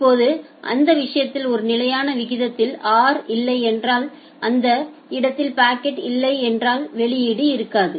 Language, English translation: Tamil, Now in that case if there is a no at a constant rate r in that case if there is no packet then there would be no output